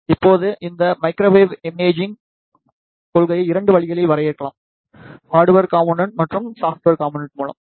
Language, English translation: Tamil, Now, this microwave imaging principle can be defined in the 2 ways; through hardware components and the software component